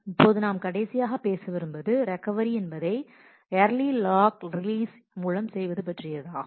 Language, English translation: Tamil, Now the last that ma we would like to talk about is Recovery with Early Lock Release